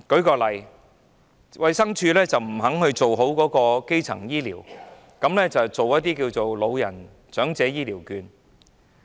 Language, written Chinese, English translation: Cantonese, 舉例說，衞生署不肯做好基層醫療的工作，反而推出長者醫療券。, An example is that DH has not properly carried out the work of primary health care but has introduced the elderly health care vouchers instead